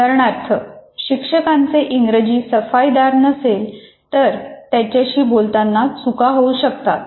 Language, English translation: Marathi, For example, if a teacher is not very fluent in English, there can be errors in communicating by the teacher